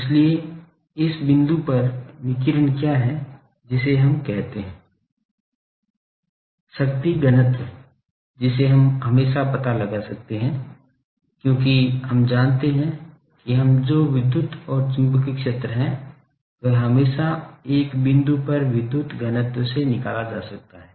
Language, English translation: Hindi, So, at this point what is the radiation what we call, the power density that we can always find out, because we know the what is the electric and magnetic field from the we can always from the power density at a point